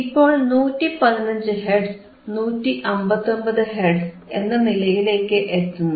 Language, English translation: Malayalam, Now, you go down all the way to 115 159 Hertz, 159 Hertz